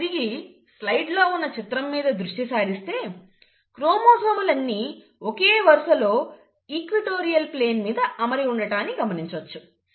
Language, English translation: Telugu, I told you, let me go back to the back slide, that the chromosomes arrange at the equatorial plane